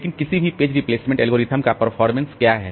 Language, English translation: Hindi, So, this is the way this any page replacement algorithm should work